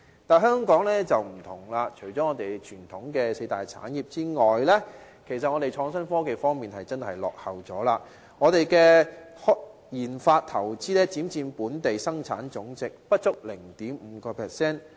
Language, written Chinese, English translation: Cantonese, 但是，香港不同，在傳統的四大產業之外，我們的創新科技真的墮後了，我們的研發投資只佔本地生產總值不足 0.5%。, However Hong Kong is totally different . Our conventional four pillar industries aside we are actually lagging behind in innovation and technology . Our RD investment only makes up less than 0.5 % of our GDP